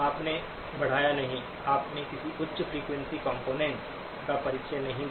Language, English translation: Hindi, You did not increase; you did not introduce any high frequency components